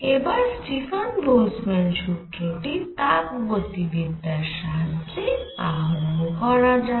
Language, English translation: Bengali, Now let us get Stefan Boltzmann law by thermodynamics